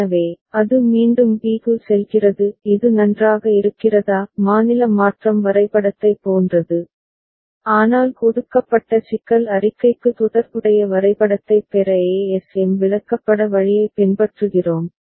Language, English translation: Tamil, So, it is going back to b; is it fine similar to the state transition diagram, but we are following the ASM chart route to get the corresponding diagram for the given problem statement